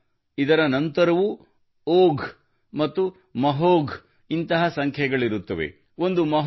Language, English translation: Kannada, Not only this, there are numbers like Ogh and Mahog even after this